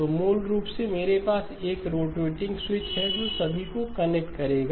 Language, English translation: Hindi, So basically I have a rotating switch which will connect all of them